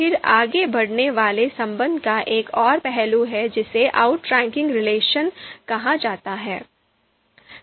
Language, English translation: Hindi, Then there is another aspect of you know outranking relation that is called outranking degree